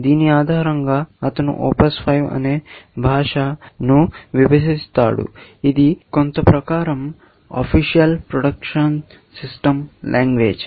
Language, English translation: Telugu, Based on this, he divides the language called OPS5 which, some people say, stands for Official Production System Language